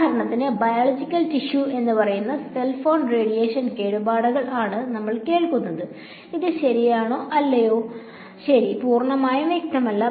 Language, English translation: Malayalam, The other thing for example, we hear about a lot is cell phone radiation damage to let us say biological tissue, is it true is it not true well, it is not fully clear